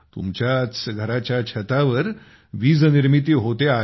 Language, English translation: Marathi, Electricity is being generated on the roof of their own houses